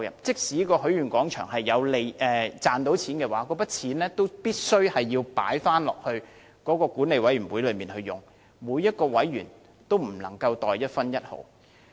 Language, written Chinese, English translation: Cantonese, 即使許願廣場能賺取金錢，這些金錢亦必須退回，供管理委員會使用，每名委員均不能袋入一分一毫。, Even if the Wishing Square should make any money such money must be returned for use by the Management Committee . No committee members can pocket a penny